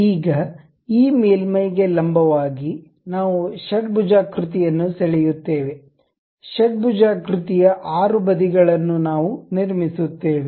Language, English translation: Kannada, Now, on this normal to surface we draw a hexagon, a hexagon 6 sides we will construct it